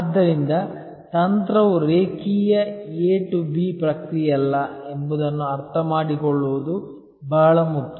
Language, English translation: Kannada, So, therefore, very important to understand that strategy is not a linear A to B process